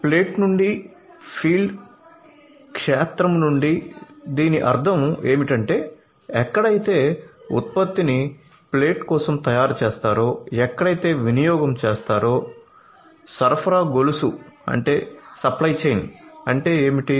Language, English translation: Telugu, So, field to plate so, what it means is that from the field where the production is made to the plate where the consumption is made, what is the supply chain